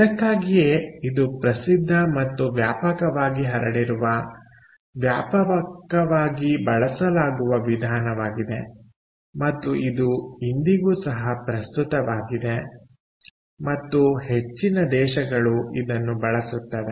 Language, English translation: Kannada, so that is why this is such a well known and widely spread, widely used method, and it is relevant even today and used by most countries